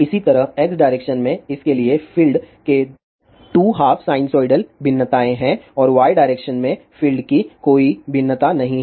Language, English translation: Hindi, Similarly, for this in the x direction, there are 2 half sinusoidal variations of the field and in the y direction there is no variation of the field